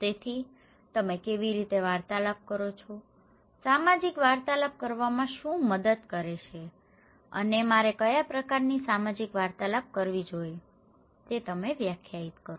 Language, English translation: Gujarati, So, how do you make interactions, what helps to make social interactions and what kind of social interactions I should do; you will define that one